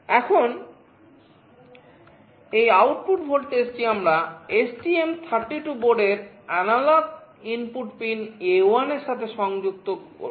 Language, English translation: Bengali, Now this output voltage we have connected to the analog input pin A1 of the STM32 board